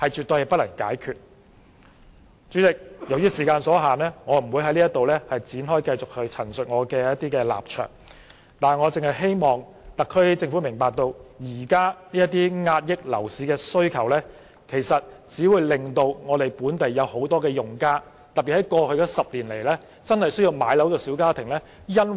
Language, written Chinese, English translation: Cantonese, 代理主席，由於時間所限，我不會繼續闡述我的立埸，但我希望特區政府明白，現時遏抑樓市需求的措施，其實只會令本地很多用家，特別在過去的10年裏真正需要置業的小家庭無法置業。, Deputy Chairman given the time constraint I will not continue to elaborate my viewpoints . But I hope the SAR Government will understand that the existing measures to curb the demand for properties will only render many local users particularly small families with a genuine need for property ownership in the past 10 years unable to do so